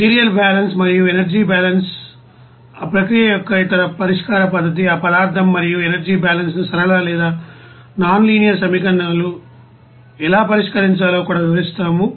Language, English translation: Telugu, Material balance and energy balance and other you know solution method of those process, even also how to solve that material and energy balance whether it is linear or nonlinear equations